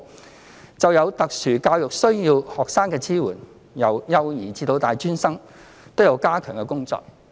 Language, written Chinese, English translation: Cantonese, 關於支援有特殊教育需要的學生，由幼兒至大專生皆有加強的工作。, As far as the support provided to students with SEN is concerned we have stepped up our efforts at all levels from early childhood to tertiary education